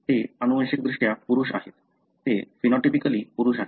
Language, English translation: Marathi, They are genetically male, they are phenotypically male